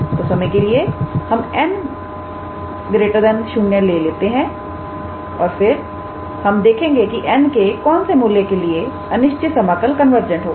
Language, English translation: Hindi, So, for the time being let us take n is greater than 0 and then we will say for what values of n this improper integral is convergent